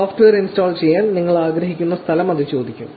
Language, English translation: Malayalam, Then it will ask you what location do you want to install the software